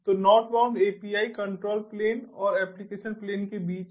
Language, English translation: Hindi, so the northbound api is between the control plane and the application plane